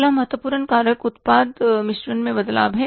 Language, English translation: Hindi, Next important factor is a change in the product mix